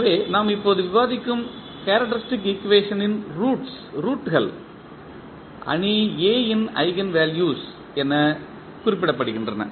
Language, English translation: Tamil, So, the roots of the characteristic equation which we just discuss are refer to as the eigenvalues of the matrix A